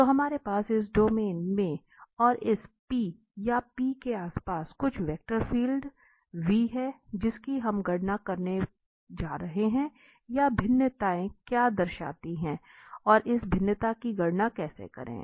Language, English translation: Hindi, So, this is we have the some vector field v there in this domain and around this P or at P we are going to compute that what this divergence signifies and how to compute this divergence